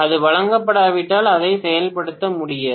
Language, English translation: Tamil, If that is not given then it cannot be worked out